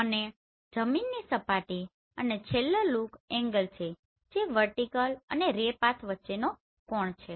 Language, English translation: Gujarati, And the ground surfaces and the last one is look angle which is the angle between vertical and ray path right